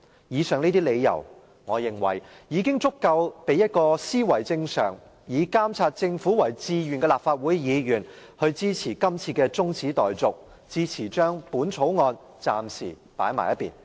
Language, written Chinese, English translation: Cantonese, 以上這些理由，我認為已足夠令一位思維正常、以監察政府為志願的立法會議員，支持今次的中止待續議案，支持將《條例草案》暫時擱置。, In my opinion the above reasons are sufficient to persuade any Legislative Council Member who is in his or her right mind and determined to monitor the Government into supporting this adjournment motion and shelving the Bill for the time being